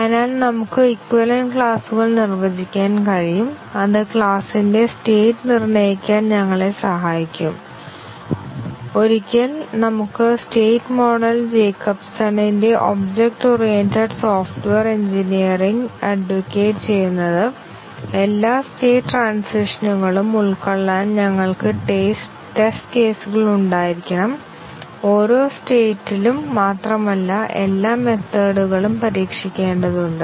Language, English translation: Malayalam, So, we can define equivalence classes and that will help us determine the states of the class and once we have the state model Jacobson’s object oriented software engineering advocates that we have to have test cases to cover all state transitions and not only that in each state all the methods have to be tested